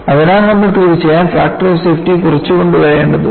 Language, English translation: Malayalam, So, you need to definitely bring out factor of safety down